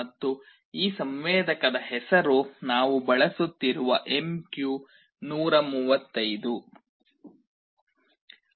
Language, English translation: Kannada, And the name of this sensor is MQ135 that we shall be using